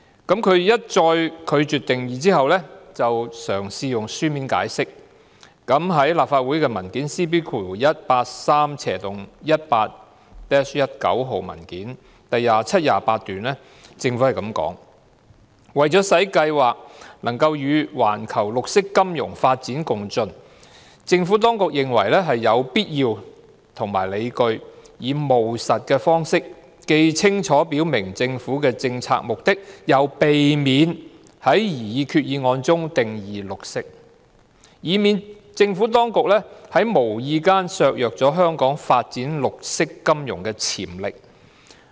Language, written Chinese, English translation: Cantonese, 當局一再拒絕下定義，然後嘗試以書面解釋，據立法會 CB183/18-19 號文件第27段所述，政府表示："為使計劃能與環球綠色金融發展共進，政府當局認為有必要及理據以務實的方式，既清楚表明政府的政策目的，又避免在擬議決議案中定義'綠色'，以免政府當局在無意間削弱香港發展綠色金融的潛力。, The authorities have once and again refused to spell out the definition and attempted to give a written explanation . According to paragraph 27 of LC Paper No . CB18318 - 19 the Government has stated that In order to keep abreast of the global development of green finance the Administration considers it necessary and justified to adopt a practical approach by making clear the Governments policy intention but without attempting to define green in the Proposed Resolution so that the Administration would not inadvertently undermine Hong Kongs development potential in green finance because of a green definition imposed under the resolution which may with hindsight become obsolete or overly narrow as the worlds conception of what is green evolves over time